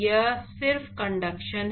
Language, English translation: Hindi, It is just conduction